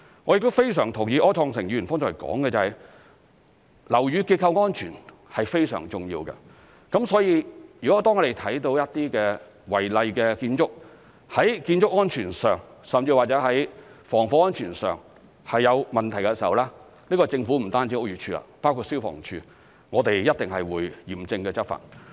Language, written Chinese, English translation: Cantonese, 我亦非常同意柯創盛議員剛才所說，樓宇結構安全非常重要，所以當我們看到一些違例建築，在建築安全甚至防火安全上有問題的時候，不單是屋宇署，亦包括消防處，均一定會嚴正執法。, I also agree very much with Mr Wilson ORs earlier remark that the structural safety of buildings is very important . For this reason when we notice that there are problems with the unauthorized building works in respect of building safety and even fire safety not only the Buildings Department but also the Fire Services Department will definitely take law enforcement actions resolutely